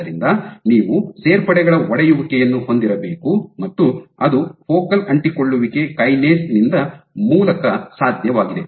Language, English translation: Kannada, So, you have to have breakage of additions and that is mediated by focal adhesion kinase